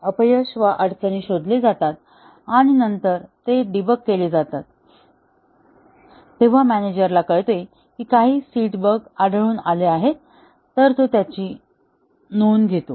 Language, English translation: Marathi, The failures are detected and then, they are debugged and if the manager finds out that some of the seeded bugs have surfaced have been detected he takes a note of that